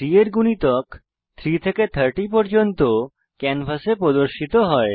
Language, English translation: Bengali, Multiples of 3 from 3 to 30 are displayed on the canvas